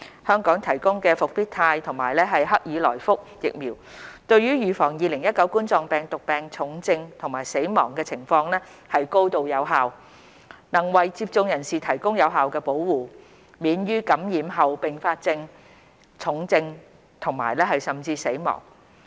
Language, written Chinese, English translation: Cantonese, 香港提供的復必泰和克爾來福疫苗對於預防2019冠狀病毒病重症和死亡情況高度有效，能為接種人士提供有效保護，免於感染後併發重症甚至死亡。, The vaccines administered in Hong Kong namely Comirnaty and CoronaVac are highly effective in preventing severe cases and deaths arising from COVID - 19 . People who are vaccinated are effectively protected from serious complications and even deaths after infection